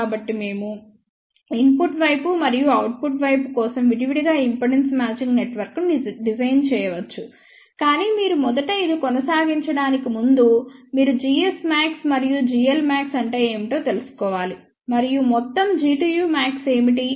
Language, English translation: Telugu, So, we can design impedance matching network for input side as well as the output side separately, but before you proceed for this first of all you must find out what is g s max and g l max and what is the total G tu max